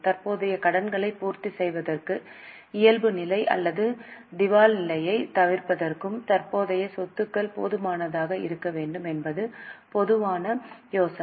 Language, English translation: Tamil, General idea is we should have enough of current assets to meet the current liabilities and avoid any default or bankruptcy